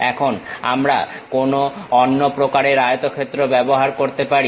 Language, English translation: Bengali, Now, we can use some other kind of rectangle